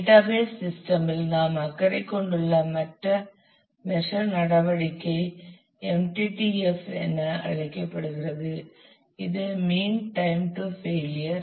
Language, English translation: Tamil, the other performance measure that we are concerned with in the database system is known as MTTF which is mean time to failure